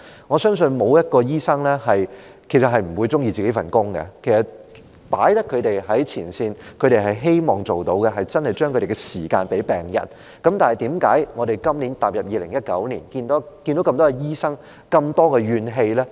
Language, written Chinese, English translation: Cantonese, 我相信沒有醫生不喜歡自己的工作，既然他們身處前線，他們便希望真的能夠花時間在病人身上，但為何今年，踏入2019年，我們看見這麼多醫生充斥着怨氣？, I believe no doctor does not like his own job . Since they are on the frontline they wish that they can really spend enough time on patients . But this year or at the beginning of 2019 why were so many doctors full of grievances?